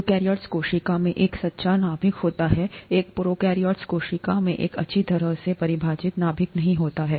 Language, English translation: Hindi, Eukaryotic cell has a true nucleus, a prokaryotic cell does not have a well defined nucleus